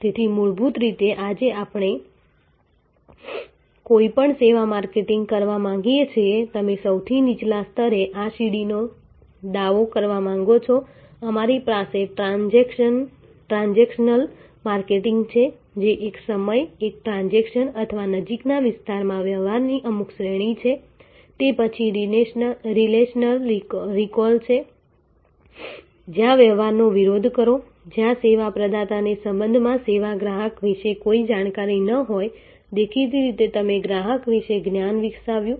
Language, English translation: Gujarati, So, basically today we want to any service marketing, you want to claim this stairway at the lowest level we have transactional marketing, which is one time, one transaction or just some series of transaction in near vicinity it is then recall relational, where as oppose to transactional, where the service provider may have no knowledge about the service customer in relationship, obviously, you have develop the knowledge about the customer